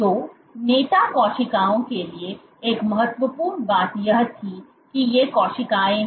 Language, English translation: Hindi, So, one important thing for the leader cells was that these cells